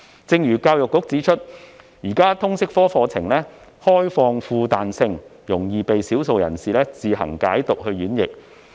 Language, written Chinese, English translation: Cantonese, 正如教育局指出，現時的通識科課程開放而富彈性，容易被少數人士自行解讀演繹。, As pointed out by EDB the current LS curriculum is open and flexible and can easily be misinterpreted by a minority of people